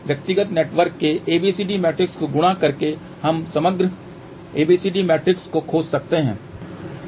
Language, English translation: Hindi, By multiplying ABCD matrix of individual network we can find overall ABCD matrix